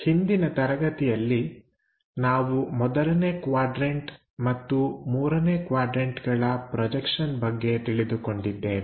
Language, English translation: Kannada, In the last class, we have learned about 1st quadrant projections and 3rd quadrant projections